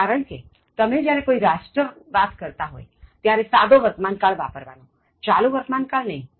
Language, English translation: Gujarati, The reason is, when talking about a country, use the simple present and not the present continuous tense